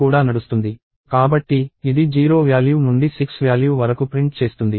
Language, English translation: Telugu, So, it will print values of 0 to values of 6